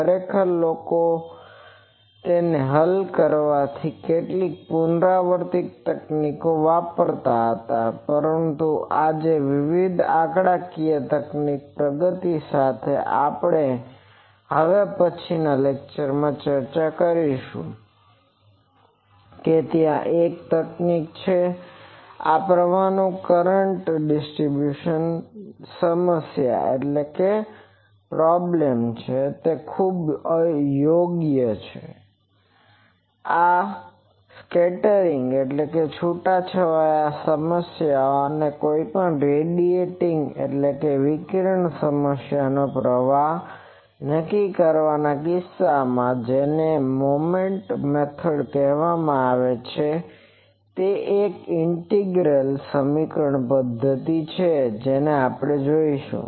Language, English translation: Gujarati, Actually previously people used to have some iterative techniques to solve that, but today with the advancement of various numerical techniques that also we will discuss probably in the next lecture, that there is a technique which is very much appropriate for this type of current distributions problem, or in case of determining currents for scattering problems or any radiating problem that is called Moment method that is an integral equation method that also we will see